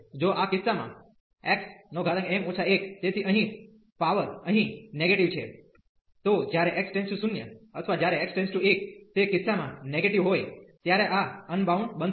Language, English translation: Gujarati, In case this x power m minus 1, so the power here is negative, then this will become unbounded when x approaches to 0 or when x approaches to 1 in case this n minus 1 is negative